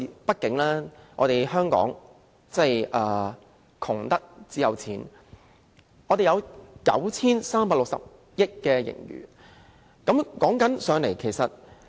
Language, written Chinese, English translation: Cantonese, 畢竟香港窮得只有錢，我們有 9,360 億元盈餘。, After all Hong Kong is so poor that it only has money―we have 936 billion in surplus